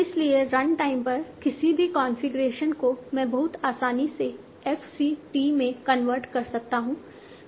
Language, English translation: Hindi, So at runtime, any configuration I can convert to FCT very easily